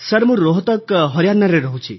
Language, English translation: Odia, I belong to Rohtak, Haryana Sir